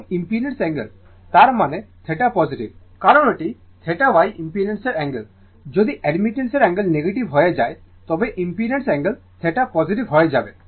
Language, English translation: Bengali, And angle of impedance; that means, theta is positive because it is theta Y angle of admittance if angle of admittance become negative then angle of impedance theta will become positive right